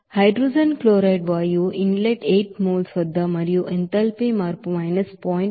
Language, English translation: Telugu, Whereas hydrogen chloride gas inlet at 8 moles and also enthalpy change is 0